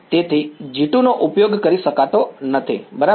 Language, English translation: Gujarati, So, G 2 cannot be used ok